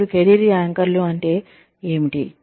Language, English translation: Telugu, Now, what are career anchors